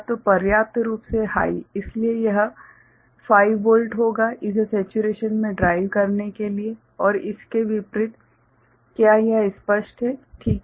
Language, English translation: Hindi, So, sufficiently high so that will be 5 volt to drive it deep into saturation and vice versa, is it clear ok